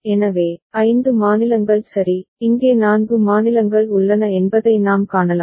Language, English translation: Tamil, So, the other thing that we can see that there are 5 states ok and here are four states